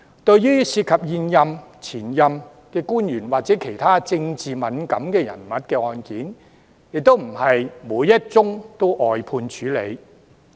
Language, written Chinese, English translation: Cantonese, 對於涉及現任、前任官員或其他政治敏感人物的案件，亦非每一宗也會外判處理。, Not all cases involving incumbent or former government officials or other politically sensitive persons will be briefed out